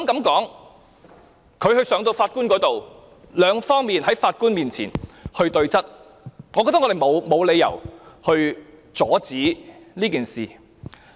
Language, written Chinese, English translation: Cantonese, 當他上到法庭時，雙方可在法官面前對質，而我認為我們沒有理由阻止這事。, When the case is taken to court both sides can confront each other in front of the judge and I think we have no reason to stop this from happening